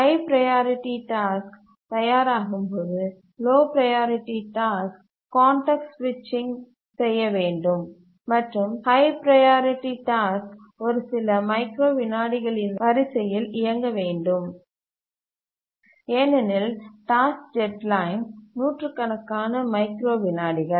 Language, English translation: Tamil, When a high priority task becomes ready, the low priority task must be context switched and the high priority task must run and that should be of the order a few microseconds because the task deadline is hundreds of microseconds